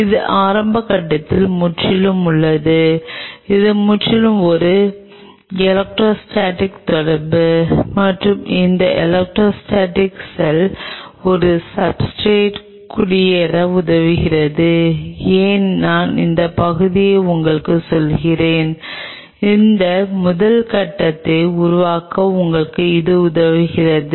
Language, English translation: Tamil, It is a purely in the initial phases, it is purely an electrostatic interaction and this electrostatic interaction helps the cell to settle down at a substrate why I am telling you this part it helps them to you know kind of build that first level of